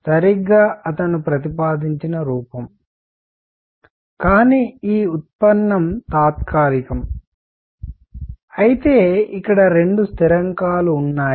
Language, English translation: Telugu, Exactly the form that he has proposed, but this is derivation is adhoc; however, there are two constants here right